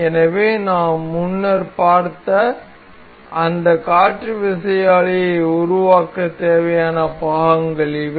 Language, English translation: Tamil, So, these are the parts that were required to build that wind turbine that we have seen earlier